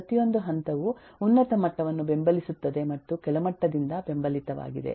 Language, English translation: Kannada, every level supports the higher level and is supported by the lower level